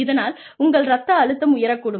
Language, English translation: Tamil, Your blood pressure, could go up